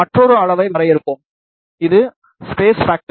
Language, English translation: Tamil, Let us define another quantity, which is space factor